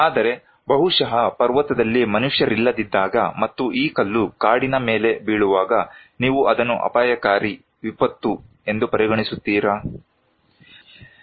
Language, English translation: Kannada, But if it is like that maybe in a mountain when there is no human being and this stone falling down on a forest, do you consider it as risky; a disaster